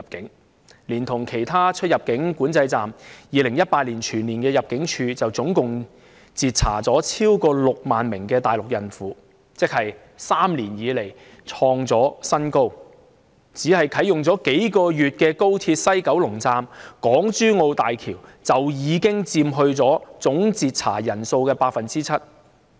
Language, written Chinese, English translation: Cantonese, 如果連同其他出入境管制站，入境處在2018年全年便截查了超過6萬名大陸孕婦，創了3年來的新高，而當中，剛啟用了數個月的高鐵西九龍站和港珠澳大橋香港口岸，已佔總截查人數的 7%。, When counted together with other boundary control points the number of pregnant Mainland women intercepted by ImmD throughout 2018 has exceeded 60 000 which is a record high in three years and 7 % of this total number of persons intercepted comes from the West Kowloon Station of XRL and Hong Kong Port of HZMB both of which just came into operation for a few months